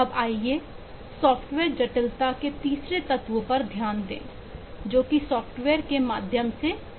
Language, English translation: Hindi, now let us look into the third element of eh: software, eh, complexity, that is, flexibility, through possible, through software